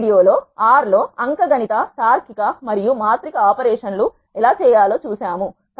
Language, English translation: Telugu, In this video we have seen how to do arithmetic logical and matrix operations in R